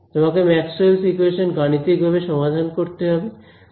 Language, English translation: Bengali, You have to solve Maxwell’s equations numerically and get this ok